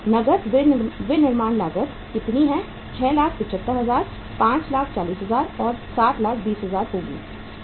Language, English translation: Hindi, The cash manufacturing cost is how much uh 6,75,000; 5,40,000; and 7,20,000